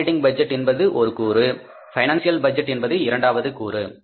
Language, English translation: Tamil, One component is the operating budget, second component is the financial budget